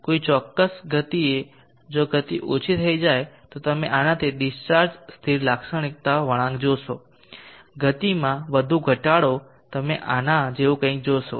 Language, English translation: Gujarati, If the speed is reduced you will see the discharge static characteristic curve like this further reduction on the speed you may see something like this